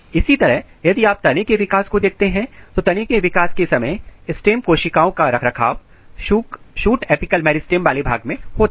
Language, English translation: Hindi, Similarly, if you look the shoot development, during shoot development, the stem cell maintenance occur in the region which is the shoot apical meristem